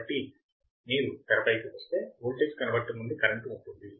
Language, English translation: Telugu, So, if you come in the screen, there is a current to voltage converter